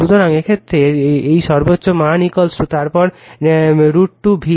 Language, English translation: Bengali, So, in this case, this peak value is equal to then root 2 V